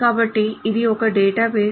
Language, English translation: Telugu, So this is what is a database